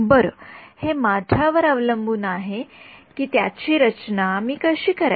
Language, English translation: Marathi, Well, it is up to me, how to design it